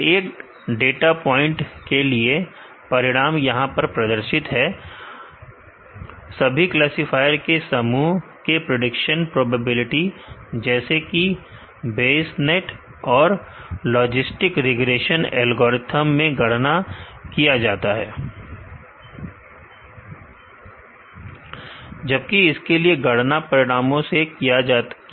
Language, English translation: Hindi, For each data point results are displayed here, the prediction probability for the sum of classifier such as Bayesnet and logistic regression is calculated in the algorithm whereas, for this it is calculated from the results